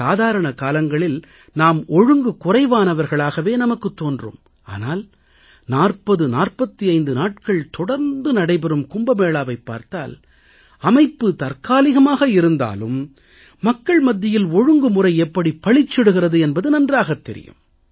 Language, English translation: Tamil, Usually, we think of ourselves as a highly undisciplined lot, but if we just look at the arrangements made during the Kumbh Melas, which are celebrated for about 4045 days, these despite being essentially makeshift arrangements, display the great discipline practised by people